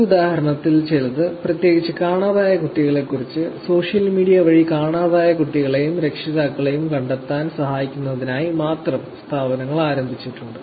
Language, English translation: Malayalam, Keeping some of these examples, particularly with missing child there has been also organization which has been started only to help finding out missing child and parents through social media